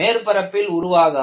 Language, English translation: Tamil, It does not occur on the surface